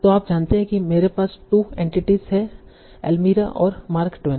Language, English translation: Hindi, So you know okay I have two entities Almeara and Mark Twain